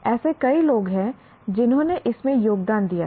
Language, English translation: Hindi, There are several people who contributed to this